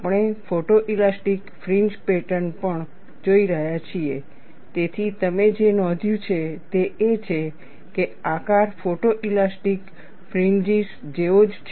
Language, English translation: Gujarati, Since we have been looking at photo elastic fringe patterns also, what you could notice is, the shape is very similar to photo elastic fringes